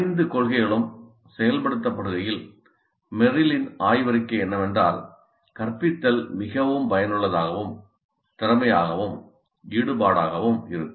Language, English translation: Tamil, As all the five principles get implemented, Meryl's thesis is that the instruction is likely to be very highly effective, efficient and engaging